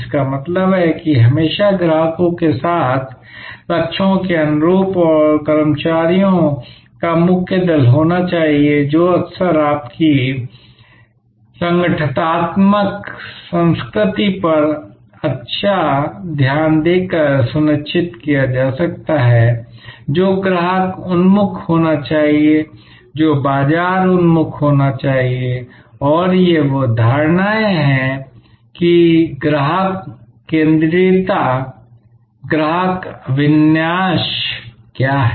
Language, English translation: Hindi, That means there has to be always a core set of employees in tune with customers, in tune with the goals and that can be often ensured by paying good attention to your organizational culture, which should be customer oriented, which should be market oriented and these are concepts that what does it mean customer centricity, customer orientation